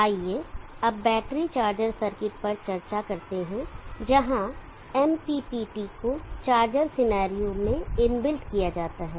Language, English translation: Hindi, Let us now discuss the battery charge circuit where MPPT is integrated inbuilt into the charge of scenario